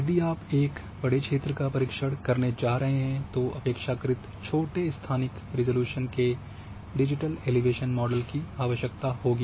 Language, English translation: Hindi, If you are going to cover a large area then relatively spatial resolution digital elevation model will be sufficient for you